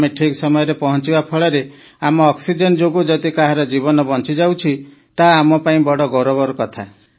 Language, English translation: Odia, For us, it's just that we are fulfilling our duty…if delivering oxygen on time gives life to someone, it is a matter of great honour for us